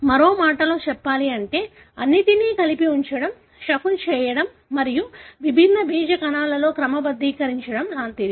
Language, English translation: Telugu, In other words it is like putting all together, shuffling and sorting it in different germ cells